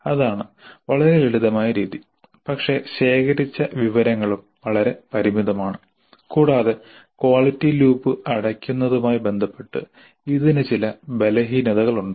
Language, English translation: Malayalam, So fairly simple method but the information gathered is also quite limited and it has certain weaknesses with respect to closing the quality loop